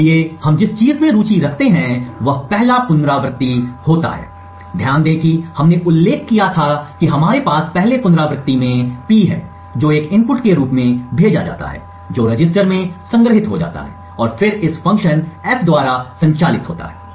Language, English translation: Hindi, So what we are interested in is the first iteration that occurs, note that we had mentioned that in the first iteration we have P which is sent as an input which gets stored in the register and then this gets operated on by this function F